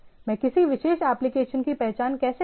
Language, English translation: Hindi, How do I identify a particular application